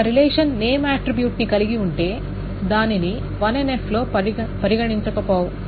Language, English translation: Telugu, So if a relation contains name, it may not be considered to be in 1NF